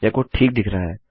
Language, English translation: Hindi, This code looks okay